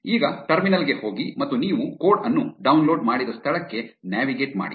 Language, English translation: Kannada, Now, go to the terminal and navigate to where you have downloaded the code